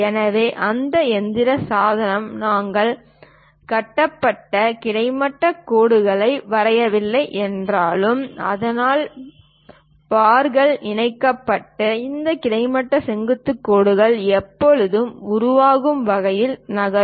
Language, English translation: Tamil, So, your mechanical device though we are not drawing constructed horizontal vertical lines; but the bars linkages moves in such a way that it always construct these horizontal vertical lines